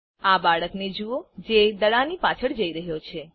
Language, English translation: Gujarati, Watch this boy, who is chasing the ball